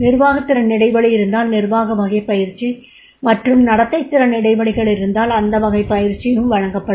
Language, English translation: Tamil, If there is a managerial gap, managerial type of training is given and behavioral skill gaps, then behavioral skill gaps and then type of training has been provided